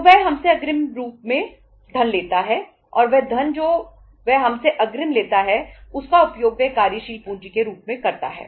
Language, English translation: Hindi, So he takes money in advance from us and that money which he takes advance from us he uses that as the working capital right